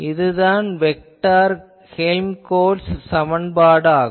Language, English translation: Tamil, So, this is a solution of the vector Helmholtz equation